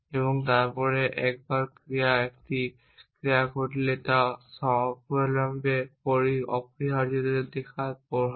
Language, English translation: Bengali, And then once a action happened it is the effects a seen immediately essentially